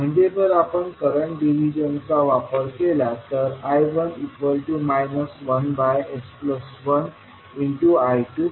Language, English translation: Marathi, So, if you utilize current division I1 will become minus of 1 upon s plus 1 into I2